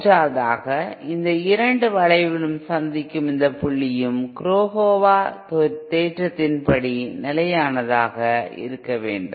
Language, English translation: Tamil, And third, this point where these two curves meet should also be stable according to the Kurokawa theorem